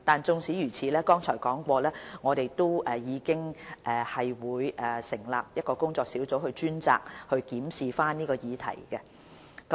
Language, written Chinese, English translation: Cantonese, 縱使如此，正如剛才提及，我們會成立工作小組，專責檢視這議題。, In spite of this as I mentioned earlier a working group will be set up to specifically review this issue